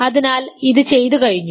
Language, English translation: Malayalam, So, this is done